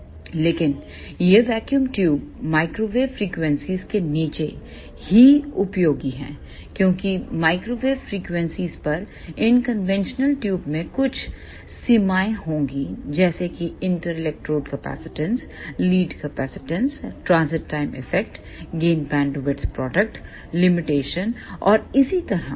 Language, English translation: Hindi, But these vacuum tubes are useful below microwave frequencies only, because at microwave frequencies these conventional tubes will have some limitations such as ah inter electrode capacitance, lead inductance, transit time effect, gain bandwidth product limitation and so on